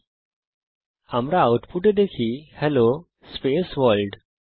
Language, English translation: Bengali, So in the output we see Hello space World